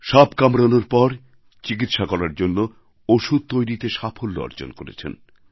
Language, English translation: Bengali, She has mastery in synthesizing medicines used for treatment of snake bites